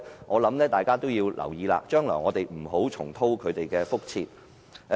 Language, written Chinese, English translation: Cantonese, 我認為大家必須留意，將來不要重蹈覆轍。, I think we must be careful not to repeat the same mistakes in the future